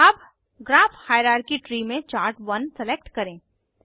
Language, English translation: Hindi, In the Graph hierarchy tree, you can see Graph and Chart1